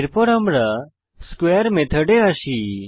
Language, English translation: Bengali, Then it comes across the square method